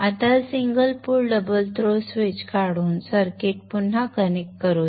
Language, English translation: Marathi, So let us now remove this single pole double through switch and reconnect the circuit